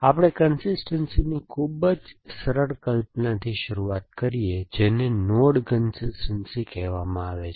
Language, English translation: Gujarati, So, we can start with the very simplest notion of consistency, which is called node